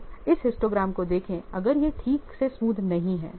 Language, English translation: Hindi, So you see this histogram is not smoothen properly